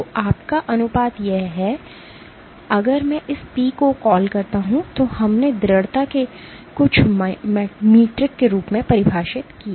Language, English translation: Hindi, So, your ratio this, if I call this P we defined as some metric of persistence